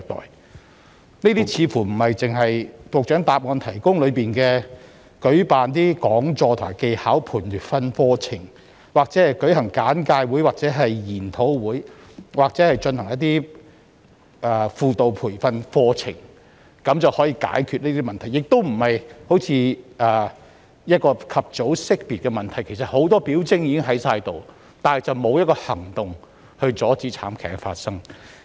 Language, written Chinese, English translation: Cantonese, 這些問題似乎不能只靠局長在主體答覆所述的講座、技巧培訓課程、簡介會、研討會或輔導培訓課程解決，而且相關個案好像未獲及早識別，因為很多表徵已經存在，但當局卻沒有採取任何行動阻止慘劇發生。, Problems of this kind are unlikely to get solved merely by talks skills training courses briefings seminars or training courses for guidance personnel set out by the Secretary in the main reply . In addition despite the numerous signs of abuse it seemed that the authorities had failed to identify the case early enough to take any action to stop the tragedy from happening